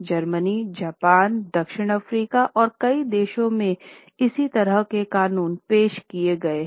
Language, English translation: Hindi, Then in Germany, in Japan, South Africa, in several countries, similar laws have been introduced